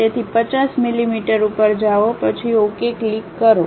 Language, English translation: Gujarati, So, go 50 millimeters, then click Ok